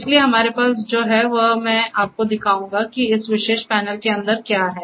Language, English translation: Hindi, So, what we have I will just show you what is inside this particular panel